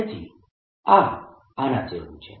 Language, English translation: Gujarati, so this is consistent